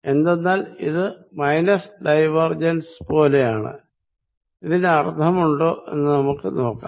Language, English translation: Malayalam, Because, that is like negative divergence, let us see make sense